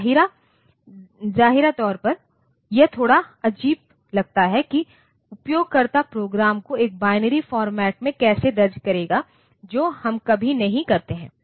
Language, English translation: Hindi, Apparently, it seems a bit awkward like how the user will enter the program in a binary format we never do that